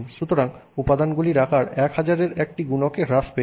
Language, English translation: Bengali, So, the size of the components is come down by a factor of 1,000